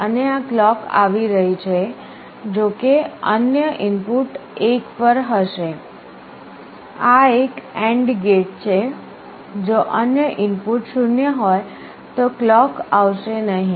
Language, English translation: Gujarati, And this clock will be coming provided the other input is at 1, this is an AND gate if the other input is 0 then the clock will not come